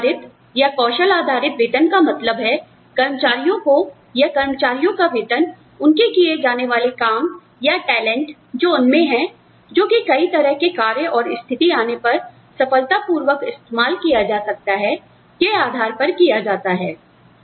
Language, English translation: Hindi, Knowledge based pay or skill based pay, refers to the fact that, employees are, or the salary that employees are paid, on the basis of the jobs, they can do, or the talents, they have, that can be successfully applied, to a variety of tasks and situations